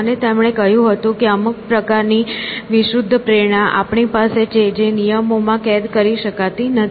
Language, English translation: Gujarati, And, he said that there is certain kind of unconscious instincts that we have which cannot be captured in rules essentially